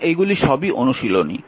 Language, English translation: Bengali, Now, these are all exercise